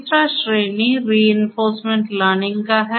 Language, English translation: Hindi, The third category is the reinforcement learning